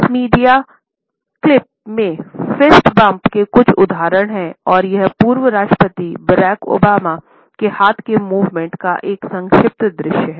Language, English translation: Hindi, This media clip shows certain examples of fist bumps and it is a brief view of the hand movements of former President Barack Obama